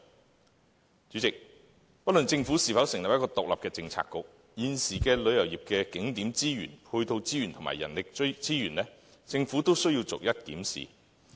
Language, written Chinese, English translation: Cantonese, 代理主席，不論政府會否就此成立一個獨立的政策局，對於現時旅遊業的景點資源、配套資源和人力資源，政府都需要逐一檢視。, Deputy President disregarding whether the Government will set up an independent Policy Bureau in this respect it has to carefully review the existing resources deployed in tourist attractions supporting facilities and manpower of the tourism industry